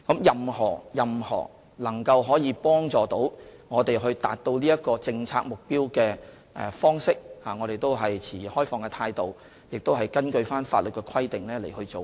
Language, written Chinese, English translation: Cantonese, 任何能夠幫助我們達到政策目標的方式，我們都持開放的態度，亦會根據法律的規定來做。, We take an open attitude towards any approach which can help us achieve the policy objective and we will also act in accordance the law